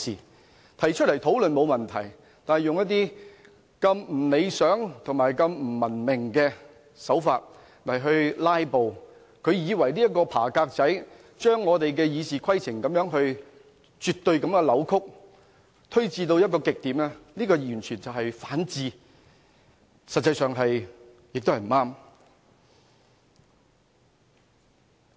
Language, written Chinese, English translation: Cantonese, 他們提出來討論，這並沒有問題，但他們以如此不理想和不文明的手法"拉布"，如此鑽研，把我們的《議事規則》絕對地扭曲，推至極點，這完全是反智，實際上也是不對。, It is alright for them to raise a discussion yet it is totally anti - intellectual for them to resort to such undesirable and uncivilized means to filibuster even digging so deep to exploit the provisions of Rules of Procedure in order to distort the meanings and applications to the ultimate . This is wrong